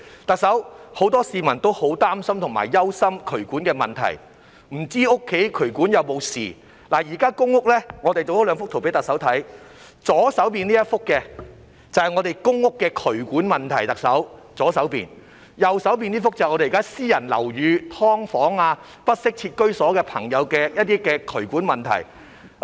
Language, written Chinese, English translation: Cantonese, 特首，很多市民都很擔心和憂心渠管的問題，不知道家中渠管有沒有事，我們製作了兩幅圖片讓特首看，左邊這幅是公屋的渠管問題，右邊這幅是現時在私人樓宇、"劏房"、不適切居所的渠管問題。, Chief Executive many people are deeply concerned about the drainage issue wondering if there is anything wrong with the drain pipes at home . We have prepared two pictures for the Chief Executives perusal . The one on the left shows drainage problems in public rental housing and the one on the right shows drainage problems in private buildings subdivided units or inadequate housing